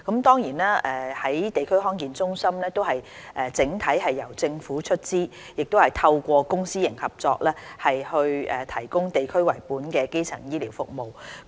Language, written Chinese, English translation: Cantonese, 地區康健中心整體由政府出資，透過公私營合作提供以地區為本的基層醫療服務。, District Health Centres DHC are generally funded by the Government . Through public - private partnership the centres will provide district - based primary health care services